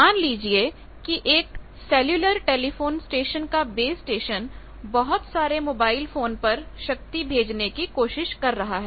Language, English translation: Hindi, Suppose a base station of a cellular telephony station that mobile phone base station is trying to send power to various mobile sets that you are having